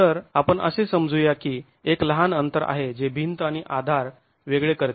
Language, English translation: Marathi, So, let's assume that there is a small gap which separates the wall and the support